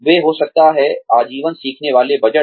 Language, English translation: Hindi, They could have, lifelong learning budgets